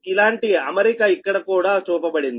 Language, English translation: Telugu, similar arrangement is shown here, also right